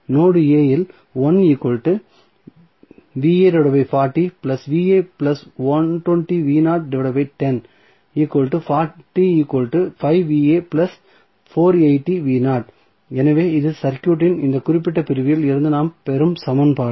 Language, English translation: Tamil, So, this is the equation which we get from this particular segment of the circuit